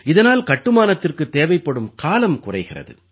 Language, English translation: Tamil, This reduces the duration of construction